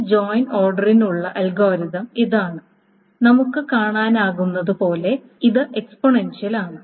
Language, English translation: Malayalam, So that is the algorithm for this joint order and this as one can see, this is exponential n and so on so forth